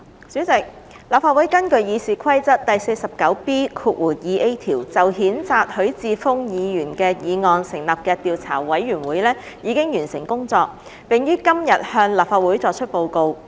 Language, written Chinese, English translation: Cantonese, 主席，立法會根據《議事規則》第 49B 條就譴責許智峯議員的議案成立的調査委員會已完成工作，並於今天向立法會作出報告。, President the Legislative Council Investigation Committee established under Rule 49B2A of the Rules of Procedure in respect of the motion to censure Hon HUI Chi - fung has already finished its work and is reporting to the Legislative Council today